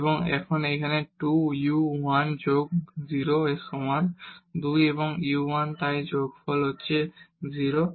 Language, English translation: Bengali, And, now equal to here 2 u 1 plus 0 so, 2 and u 1 so, plus 0